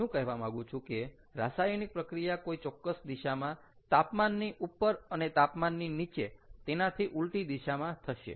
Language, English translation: Gujarati, what i am trying to say is the reaction happens in a certain direction, above ah temperature and in the opposite direction, below that temperature